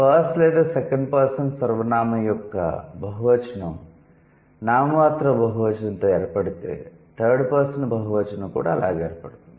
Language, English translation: Telugu, In all languages, if the plural of first or second person pronoun is formed with a nominal plural affix, then the plural of third person is also the same thing